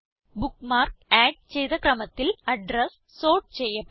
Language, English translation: Malayalam, The address are sorted by the order in which they were added as bookmarks